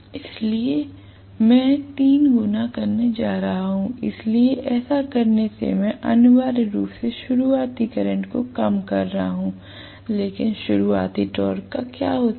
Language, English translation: Hindi, So, I am going to have three times, so by doing this I am essentially reducing the starting current, no doubt, but what happens to the starting torque